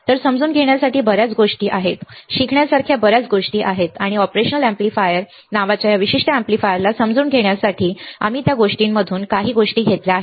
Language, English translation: Marathi, So, there are a lot of things to understand, lot of things to learn and we have taken few things from that lot to understand this particular amplifier called operational amplifier right